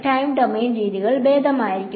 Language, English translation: Malayalam, So, time domain methods would be better for that